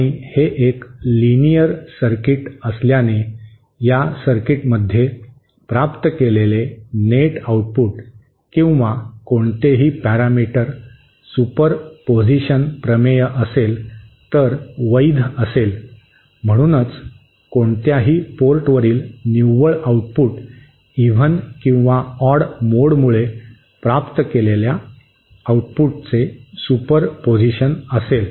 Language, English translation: Marathi, And since this is a linear circuit, the net output or any parameter that we obtained in this circuit will be the superposition superposition theorem will be valid and hence the net output at any port will be the superposition of the outputs obtained due to the even mode or the odd mode